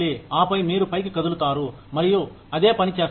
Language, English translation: Telugu, And then, you move up, and you do the same thing